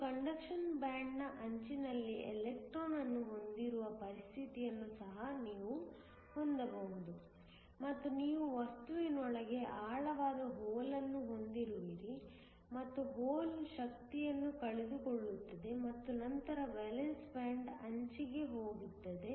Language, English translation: Kannada, You can also have a situation, where you have the electron at the edge of the conduction band and you have a hole that is deep within the material and the hole looses energy and then goes to the edge of the valence band